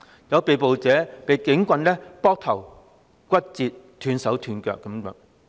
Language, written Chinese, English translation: Cantonese, 有被捕者遭警棍打頭，亦有人骨折、斷手斷腳等。, Some of the arrestees were hit by police batons on their heads and some suffered broken bones broken arms and broken legs